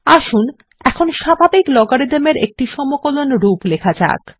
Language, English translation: Bengali, Let us now write the integral representation of the natural logarithm